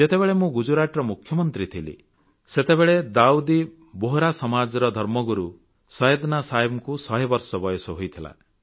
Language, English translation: Odia, When I was Chief Minister of Gujarat, Syedna Sahib the religious leader of Dawoodi Bohra Community had completed his hundred years